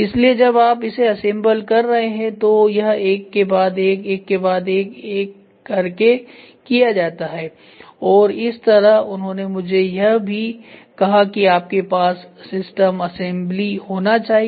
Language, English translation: Hindi, So, that when you are assemble it is done one after the other after the other and in the same way he also told me that you should have the system assembly